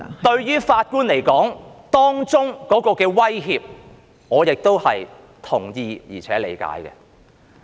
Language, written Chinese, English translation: Cantonese, 對於法官的威脅，我是同意及理解的。, I agree and appreciate that the judges would be under threats